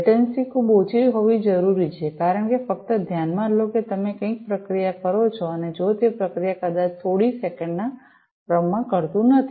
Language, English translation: Gujarati, And, the latency is required to be very low because just consider that you process something and if it does not the processing takes, maybe in the order of few seconds